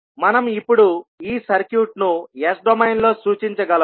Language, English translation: Telugu, So we will first transform the circuit into s domain